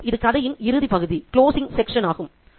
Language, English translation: Tamil, This is the last section of the story